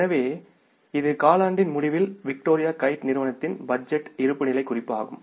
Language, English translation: Tamil, So, it is the budgeted balance sheet of Victoria Kite company as at the end of the quarter